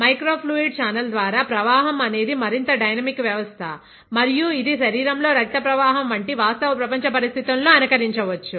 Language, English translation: Telugu, The flow through a microfluidic channel it is a more dynamic system and it might emulate original real world conditions like blood flow in the body